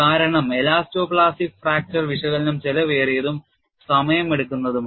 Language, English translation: Malayalam, Because the elasto plastic fracture analysis are costly and time consuming not many people get involved into that